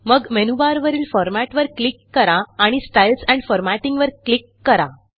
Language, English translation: Marathi, Next click on Format in the menu bar and click on the Styles and Formatting option